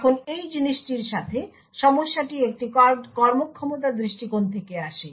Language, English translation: Bengali, Now the problem with this thing comes from a performance perspective